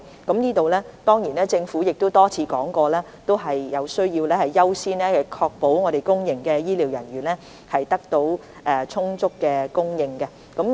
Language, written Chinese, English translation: Cantonese, 關於這方面，政府已多次表示有需要優先確保公營醫療機構的醫護人員獲得充足的供應。, On this issue the Government has repeatedly stated that it will give priority to health care workers of public health institutions to ensure that they can have adequate supply of PPE